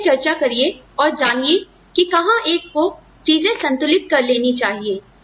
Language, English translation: Hindi, So, have these discussions, and get a feel for, where one would balance these things out